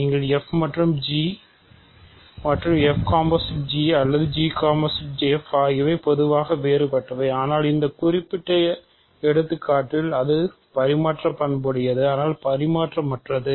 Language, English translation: Tamil, You can compose two function f and g and in either f circle g or g circle f in general there are different, but in this specific example its commutative